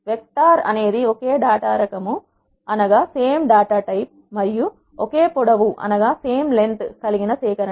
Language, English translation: Telugu, Vector is an ordered collection of basic data types of a given length